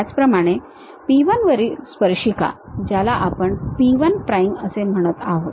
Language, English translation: Marathi, Similarly, the tangent at p 1 which we are calling p 1 prime